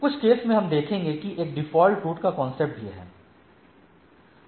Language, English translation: Hindi, In some cases, we will see that a concept of default route is there